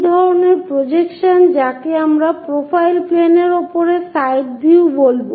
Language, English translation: Bengali, This kind of projection what we will call side view projected on to profile plane